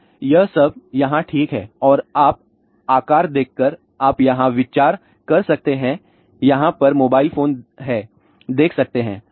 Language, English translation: Hindi, So, all of that fits over here, ok and you can see the size idea you can get there is a mobile phone over here